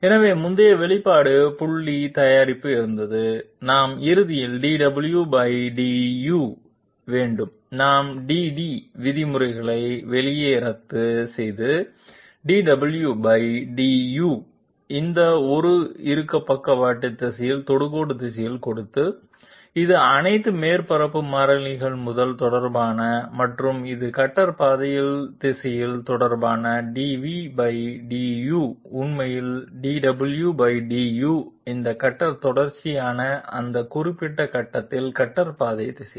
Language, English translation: Tamil, So from the previous expression the dot product, we will ultimately have dw by du we cancel out the dt terms, dw by du giving direction of the tangent in the sidestep direction to be this one, so it is it is related to 1st of all the surface constants and it is also related to the direction of the cutter path, dv /du should be actually dw /du this is related to the cutter the cutter path direction at that particular point